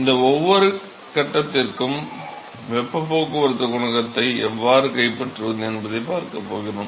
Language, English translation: Tamil, And we are going to see how to capture the heat transport coefficient for each of these phases